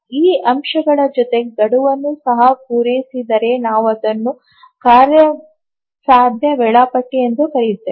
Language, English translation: Kannada, In addition to these aspects, if the deadline is also met then we call it as a feasible schedule